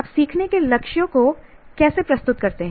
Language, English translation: Hindi, How do you present the learning goals